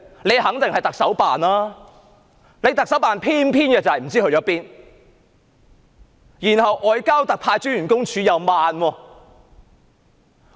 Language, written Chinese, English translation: Cantonese, 這肯定是特首辦的工作，但特首辦偏偏卻不知去了哪裏，而外交部駐港特派員公署的反應亦緩慢。, This certainly falls within the remit of the Chief Executives Office but the Chief Executives Office is surprisingly nowhere to be found . Also the Office of the Commissioner of the Ministry of Foreign Affairs in Hong Kong has been slow in giving a reply